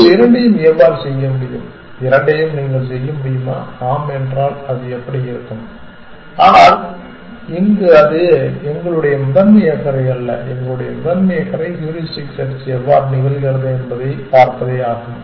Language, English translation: Tamil, How can you do both, can you do both in and if yes how it will be, but it is not our primary concern here our primary concern is to look at how heuristic search happens